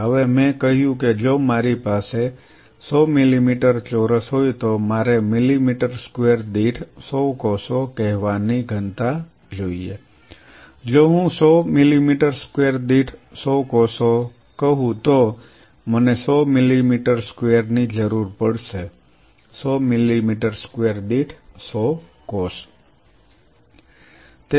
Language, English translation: Gujarati, Now I said if I have a 100 millimeter square I want a density of say 100 cells per millimeter square, if I 100 cells per millimeter square then I will be needing 100 millimeter square multiplied by 100 cells per millimeter square